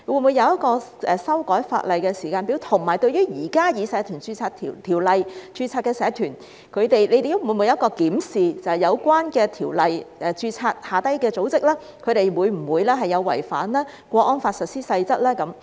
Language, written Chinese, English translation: Cantonese, 會否訂定一個修改法例的時間表？對於現時根據《社團條例》註冊的社團，當局會否檢視在有關條例下註冊的組織會否違反《香港國安法》下的《實施細則》呢？, Will a timetable be set for amending the legislation and will the authorities examine whether the organizations registered under that Ordinance have violated the Implementation Rules under the Hong Kong National Security Law?